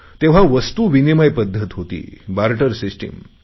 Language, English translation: Marathi, Business was carried out only through the barter system